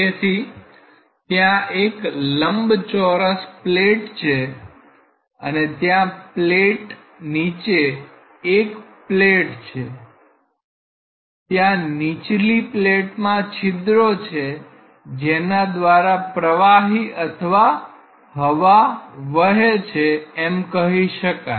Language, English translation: Gujarati, So, there is something like plate a rectangular plate and there is a bottom plate, there are holes in the bottom plate through which fluid say air is blown like this